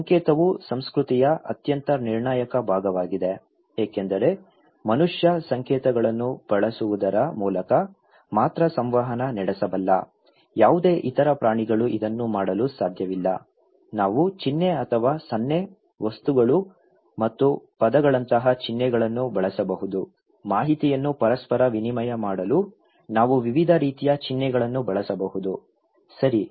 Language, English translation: Kannada, Symbol is the most critical important part of culture because it is a human being who can only interact through using symbols, no other animals can do it, we can use symbols like sign or gesture, objects and words; we can use variety kind of symbols to reciprocate informations, okay